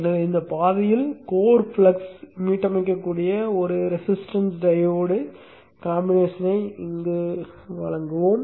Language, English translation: Tamil, So let us provide a resistance diode combination here such that the core flux can get reset during in this path